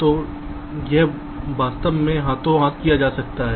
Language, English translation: Hindi, so this can go hand in hand